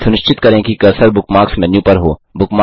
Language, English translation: Hindi, * Ensure that the cursor is over the Bookmarks menu